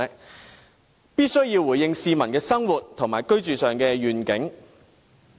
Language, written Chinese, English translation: Cantonese, 政府必須回應市民在生活和居住上的願景。, The Government must address the peoples expectations concerning their daily lives and the housing problem